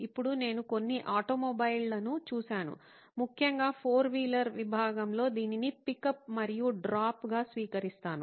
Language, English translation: Telugu, Now, I have seen a few automobile, particularly in the four wheeler segment adopt this as a pick up and drop